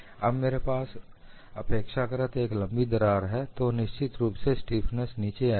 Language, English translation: Hindi, I have a longer crack now, so definitely stiffness comes down